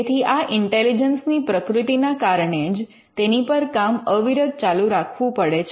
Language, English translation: Gujarati, So, because of the very nature of intelligence it has to be done on an ongoing basis